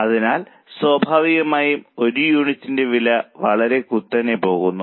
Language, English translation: Malayalam, So, naturally the per unit cost is going to vary sharply